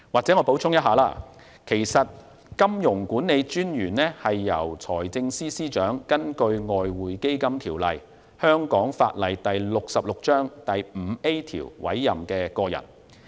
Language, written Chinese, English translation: Cantonese, 讓我補充一下，金融管理專員是由財政司司長根據《外匯基金條例》第 5A 條委任的個人。, Let me provide some more information the Monetary Authority is a person appointed by the Financial Secretary under section 5A of the Exchange Fund Ordinance